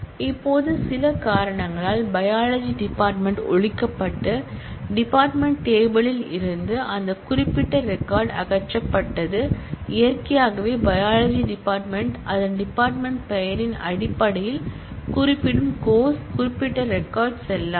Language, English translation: Tamil, Now, say for some reason the biology department is abolished and that particular record from the department table is removed, naturally, the course which is referring to biology in terms of its department name that particular record will become invalid